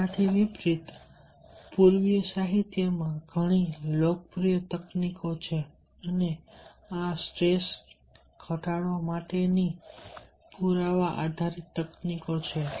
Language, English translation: Gujarati, in contrast, in in in contrast to this, there are many popular techniques in eastern literature and these are evidence based techniques to reduce stress